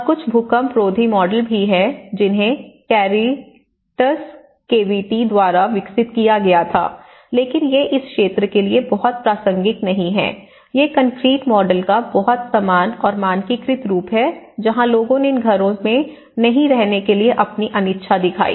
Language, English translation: Hindi, And there is also some earthquake resistant models which were developed by Caritas KVT but these are very not even relevant to this area but they are very uniform and standardized forms of the concrete models where people showed their reluctance in not to stay in these houses